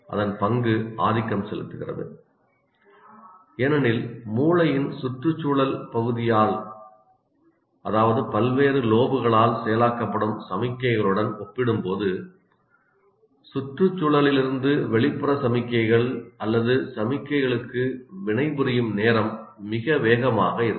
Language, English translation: Tamil, Its role becomes dominant because the time it takes to react to the external signals or signals from environment is very fast compared to the signals getting processed by the what you call logical part of the brain by the various slopes